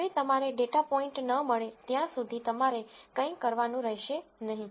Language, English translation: Gujarati, Now, you do not have to do anything till you get a data point